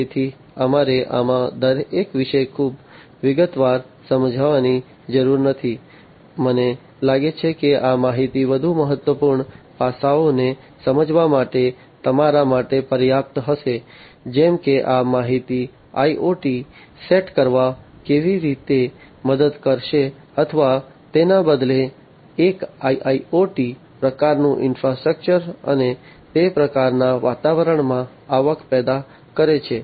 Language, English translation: Gujarati, So, we do not need to really understand about each of these in too much of detail, I think this much of information will be sufficient for you to understand the more important aspects, like you know how these information would help in in setting up an IoT or rather an IIoT kind of infrastructure, and generating revenues in that kind of environment